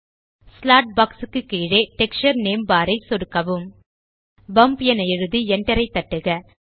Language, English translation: Tamil, Left click the texture name bar below the slot box Type Bump on your keyboard and hit the enter key